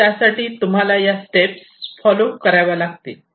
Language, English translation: Marathi, So, for doing that you have to follow these steps, right